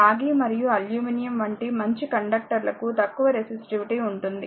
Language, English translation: Telugu, So, good conductors such as copper and aluminum have low resistivity